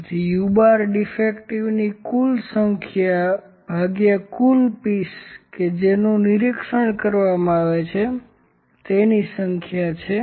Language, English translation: Gujarati, So, u bar is the total number of defects by total number of pieces those are inspected